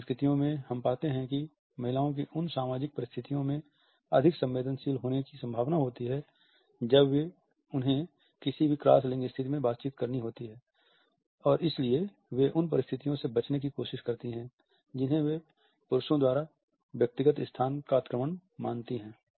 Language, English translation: Hindi, In certain cultures we find that women are likely to be more sensitive in those social situations when they have to interact in any cross gender situation and therefore, they try to avoid what they perceive to be an invasion of the personal space by men